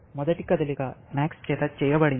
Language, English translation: Telugu, The first move is made by max